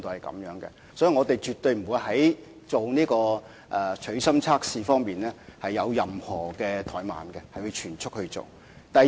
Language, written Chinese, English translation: Cantonese, 所以，我們絕不會在取芯測試方面有任何怠慢，並會全速進行測試。, Therefore we will definitely not delay in conducting the core tests and will proceed at full speed